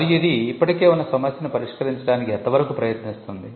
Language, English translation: Telugu, And to what extent it seeks to address an existing problem